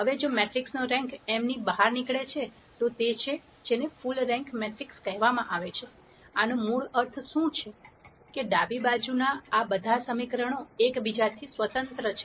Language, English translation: Gujarati, Now if the rank of the matrix turns out to be m, then it is what is called the full rank matrix, what this basically means, that all of these equations on the left hand side are independent of each other